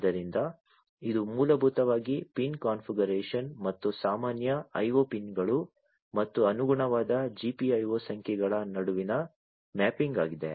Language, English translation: Kannada, So, this is the basically the pin configuration and the mapping between the regular IO pins and the corresponding GPIO numbers, right